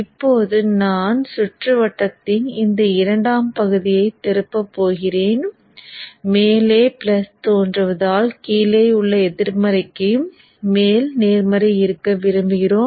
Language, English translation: Tamil, Now I am going to kind of flip this secondary portion of the circuit such that the plus appears up so that as we are used to we would like to have the positive on top and the negative at the bottom